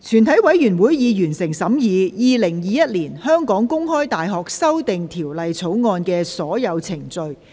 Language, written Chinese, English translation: Cantonese, 全體委員會已完成審議《2021年香港公開大學條例草案》的所有程序。, All the proceedings on The Open University of Hong Kong Amendment Bill 2021 have been concluded in committee of the whole Council